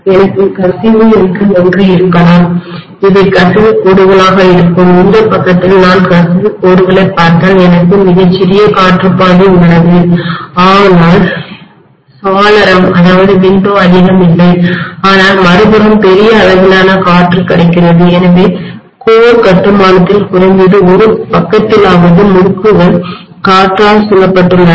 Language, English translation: Tamil, I may have something called leakage, these will be leakage lines, on this side if I look at the leakage lines I have a very very small air path not much of window available but on the other side huge amount of air is available, so in core construction at least on one side the windings are surrounded by air